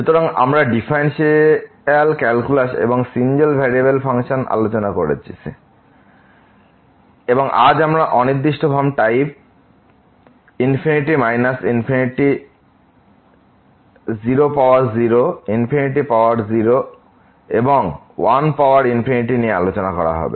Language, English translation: Bengali, So, we are discussing differential calculus and functions of single variable, and today this indeterminate forms of the type infinity minus infinity 0 power 0 infinity power 0 and 1 power infinity will be discussed